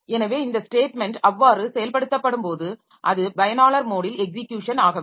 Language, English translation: Tamil, So, when this statement is to be executed, so it is no more in the user mode of execution